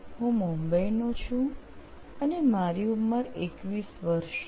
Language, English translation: Gujarati, I am from Mumbai and I am 21 years old